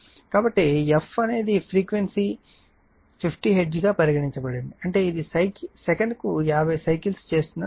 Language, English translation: Telugu, So, f is the frequency that is your say frequency 50 hertz means; it is 50 cycles per second right